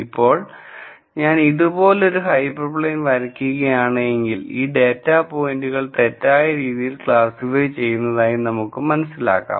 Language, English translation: Malayalam, Now, if I were to come out similarly with a hyper plane like this you will see similar arguments where these are points that will be poorly classified